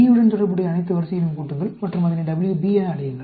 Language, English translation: Tamil, And then, you sum all the ranks related to A, and call it WA; sum all the ranks related to B, call it WB